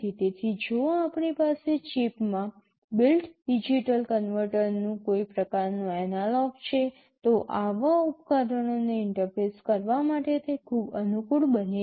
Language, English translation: Gujarati, So, if we have some kind of analog to digital converter built into the chip, it becomes very convenient to interface such devices